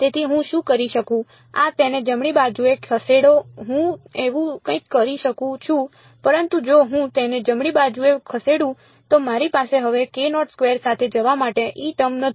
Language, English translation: Gujarati, So, what can I do, this move it to the right hand side I can do something like that, but if I move it to the right hand side I no longer have a E term to go along with k naught squared